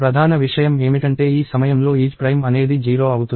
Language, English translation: Telugu, And the key thing is isPrime is 0 at this point